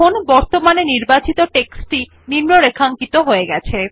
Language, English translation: Bengali, You see that the selected text is now underlined